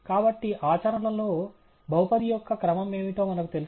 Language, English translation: Telugu, So, in practice do we know what is a order of the polynomial